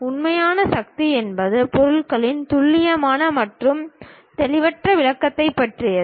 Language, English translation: Tamil, The real power is about precise and unambiguous description of the object